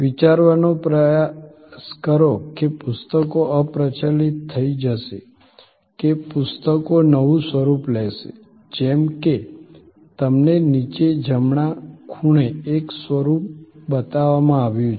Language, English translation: Gujarati, Try to think whether books will become obsolete or books will take new form, like one form is shown to you on the bottom right hand corner